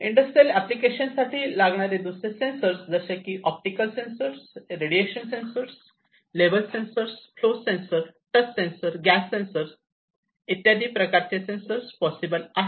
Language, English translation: Marathi, Other sensors are also possible different other sensors for industrial applications like optical sensor, radiation sensor, level sensor, flow sensor, touch sensor, gas sensor, and so on